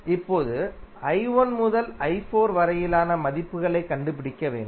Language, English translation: Tamil, Now, we have to find the values from i 1 to i 4